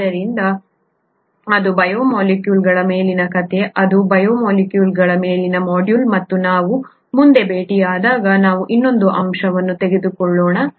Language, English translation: Kannada, So that is the story on biomolecules, that is the module on biomolecules, and when we meet up next we will take up another aspect